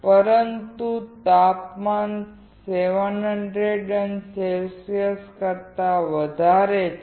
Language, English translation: Gujarati, But the temperature is greater than 700oC